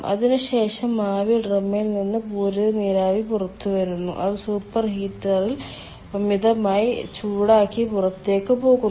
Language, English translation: Malayalam, after that, ah, saturated steam comes out of the steam drum and it is superheated in the super heater and goes out